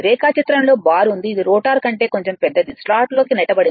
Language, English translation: Telugu, There the bar was showing in the diagram right, slightly larger than the rotor which are pushed into the slot